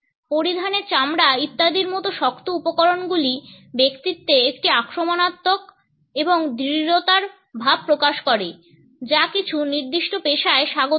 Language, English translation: Bengali, Hard materials like leather etcetera suggest a belligerence and assertiveness which is not welcome in certain professions